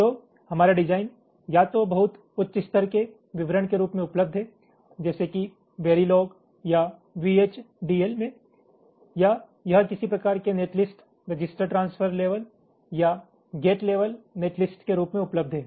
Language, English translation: Hindi, so our design is available either in the form of a high level description, like in verilog or vhdl, or it is available in the form of some kind of a netlist, register, transfer level or gate level netlist